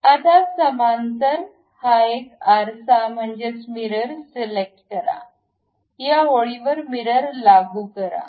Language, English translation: Marathi, Now, parallel to that select this one mirror, mirror about this line, apply